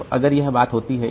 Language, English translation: Hindi, So, what is done